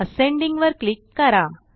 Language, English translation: Marathi, And then click on ascending